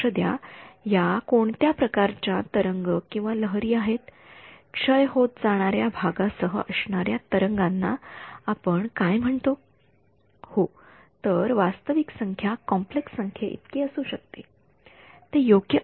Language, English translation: Marathi, So, notice what are these waves what kind of waves we call these with a decaying part